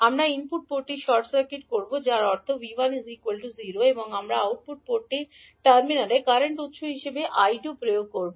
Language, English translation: Bengali, Now, you are making output port short circuit means V2 is 0 in this case and you are applying the current source I1 to the input port